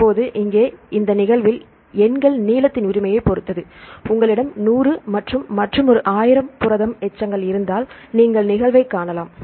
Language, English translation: Tamil, Now here in this occurrence the numbers depend on the length right for example, if you have 100 residues and another protein 1000 residues then if you see the occurrence right